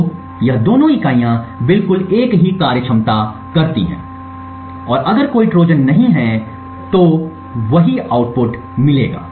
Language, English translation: Hindi, So, both this units perform exactly the same functionality and if there is no Trojan that is present would give the same output